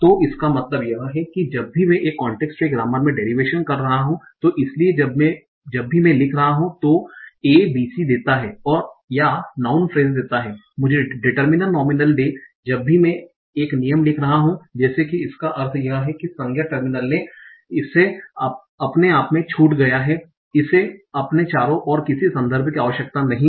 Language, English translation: Hindi, So all this means is that in context free grammar, whenever I am doing a derivation, so whenever I am writing A gives me B C, or say noun phase gives me to the minor nominal, whenever I am writing a rule like that, it means is that the non terminal on the left, it's all on its own by itself